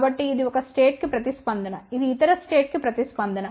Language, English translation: Telugu, So, this is the response for one of the state this is the response for the other state